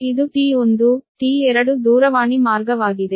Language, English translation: Kannada, so this is t, one, t, two telephone lines right